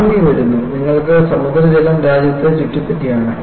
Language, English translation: Malayalam, You know, you can imagine, tsunami comes and you have sea water engulfs the country